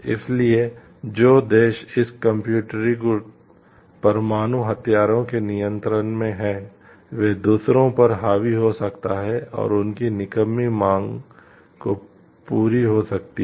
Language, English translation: Hindi, So, those countries who are in the control of this computerized nuclear weapons are may dominate others and they and they get unused demand fulfilled